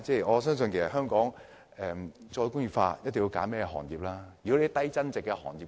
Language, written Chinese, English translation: Cantonese, 我相信香港要再工業化，一定要仔細挑選一些行業。, In my opinion in order for Hong Kong to re - industrialize a careful choice must be made in selecting the appropriate industries